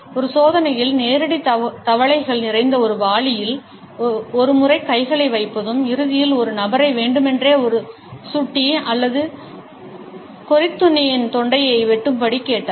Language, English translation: Tamil, An experiment included putting once hands in a bucket full of live frogs and ultimately he asked a person to deliberately cut the throat of a mouse or a rodent